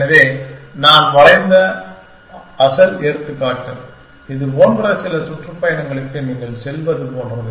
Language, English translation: Tamil, So, the original example that I have drawn, which was like you go some tour like this